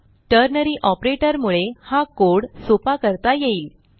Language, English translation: Marathi, This is when ternary operator makes code simpler